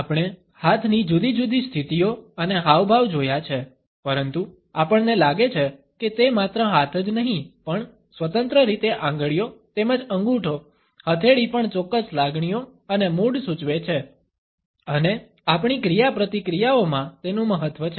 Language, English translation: Gujarati, We have looked at different hand positions and gestures, but we find that it is not only the hands, but also the fingers independently as well as our thumb, even palm are indicative of certain emotions and moods and have a significance in our interactions